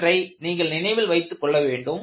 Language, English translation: Tamil, So, this is what you will have to keep in mind